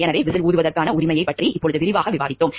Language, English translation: Tamil, So, we will discuss about the right to whistle blowing in details now